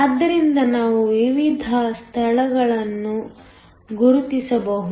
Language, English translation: Kannada, So, we can mark the different regions